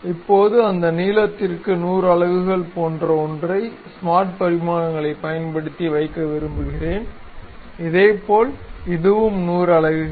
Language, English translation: Tamil, Now, I would like to use smart dimensions to maintain something like 100 units for one of that length; similarly this one also 100 units